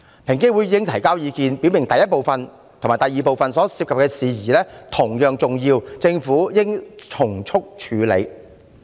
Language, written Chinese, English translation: Cantonese, 平機會已提交意見，表明第一部分和第二部分所涉及的事宜同樣重要，政府應從速處理。, EOC has submitted its recommendations and made it clear that matters in Part I and Part II are of equal importance and should be promptly tackled by the Government